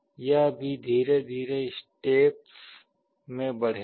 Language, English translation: Hindi, It will also increase slowly in steps